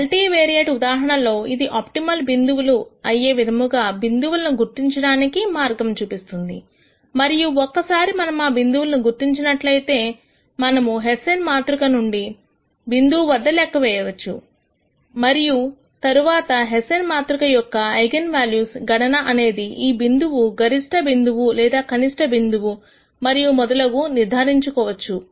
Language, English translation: Telugu, So, in a multivariate case it gives us a way to identify points that could be optimum points and once we identify those points we can compute this hessian matrix at those points and then computation of the eigenvalues of this hessian matrix would allow us to determine whether the point is a maximum point or a minimum point and so on